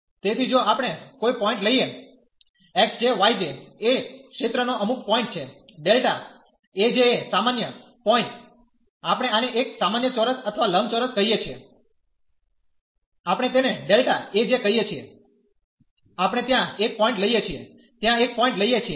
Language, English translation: Gujarati, So, if we take a point x j, y j are some point in the area delta A j a general point, we are calling this a general square or the rectangle, we are calling as delta A j and we take a point there at which is denoted by this x j, y j